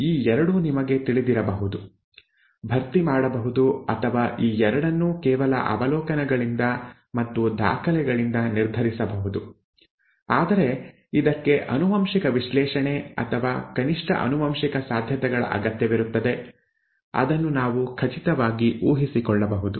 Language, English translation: Kannada, These 2 can be you know, filled in or these 2 can be decided just by observations and records, whereas this requires a genetic analysis or a at least genetic possibilities which we can deduce with surety